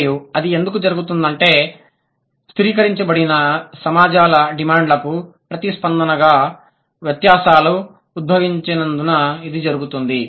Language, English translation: Telugu, It happens because of the distinctions evolved in response to the demands of the stratified societies